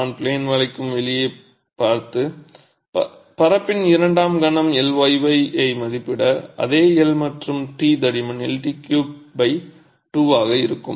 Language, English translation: Tamil, If I were to look at out of out of plane bending and estimate the second moment of area IYY, same L length and T thickness would be L T cube by 12